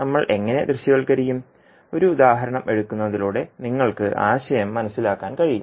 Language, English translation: Malayalam, So how we will visualise, let us take an example so that you can understand the concept